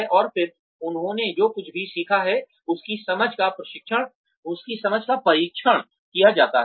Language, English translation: Hindi, And then, there understanding of whatever they have learnt, is tested